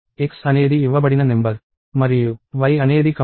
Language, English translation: Telugu, Let x be the given number and y be the number that is being computed